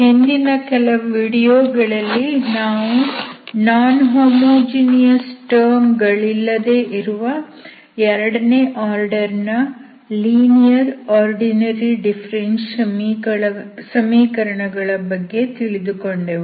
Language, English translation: Kannada, Welcome back, in the last few videos, we are looking at the solutions of second order linear ordinary differential equations which are without non homogeneous terms